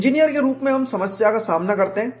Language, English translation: Hindi, As engineers, we approach the problem